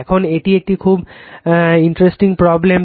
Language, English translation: Bengali, Now, , this is a very interesting problem